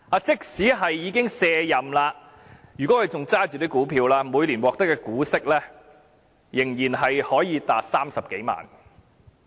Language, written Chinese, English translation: Cantonese, 即使他已經卸任，如果他仍持有這些股票，每年所獲得的股息仍可達30多萬元。, Even though he has retired he can continue to receive dividends amouting to over 300,000 annually if he still holds the shares